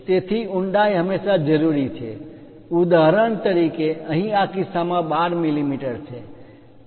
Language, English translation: Gujarati, So, depth is always be required for example, here in this case 12 mm